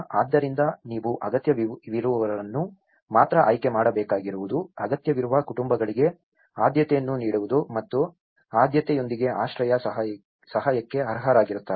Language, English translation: Kannada, So, that is where you need to select only the needy is to given the priority for the neediest households and would be eligible for the shelter assistance with priority